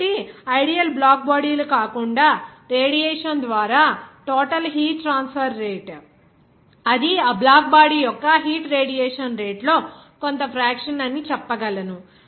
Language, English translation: Telugu, So, other than this ideal of black bodies, we can say that the total heat transfer rate by the radiation it will be some fraction of that heat radiation rate of that black body